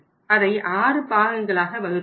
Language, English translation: Tamil, They devised it into the 6 parts